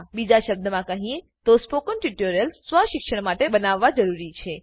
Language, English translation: Gujarati, In other words, spoken tutorials need to be created for self learning